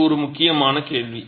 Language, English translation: Tamil, So, that is an important question